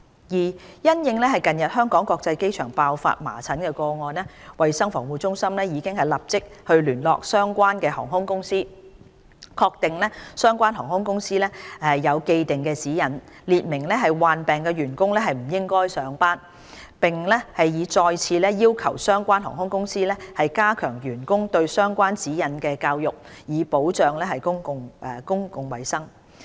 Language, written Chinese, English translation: Cantonese, 二因應近日香港國際機場爆發麻疹個案，衞生防護中心已立即聯絡相關航空公司，確定相關航空公司有既定指引，列明患病員工不應上班，並已再次要求相關航空公司就指引加強教育員工，以保障公共衞生。, 2 In view of the recent cases of measles infection at the Hong Kong International Airport CHP has immediately liaised with relevant airline company and confirmed that it has the established guidelines which stipulate sick staff should not go to work . CHP has requested the relevant airline company to reinforce the education of relevant guidelines among staff to protect public health